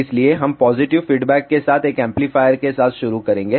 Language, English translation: Hindi, So, we will start with an amplifier with positive feedback